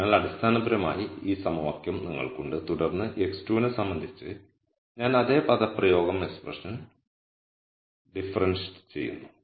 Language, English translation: Malayalam, So basically this equation you have and then when I differentiate the same expression with respect to x 2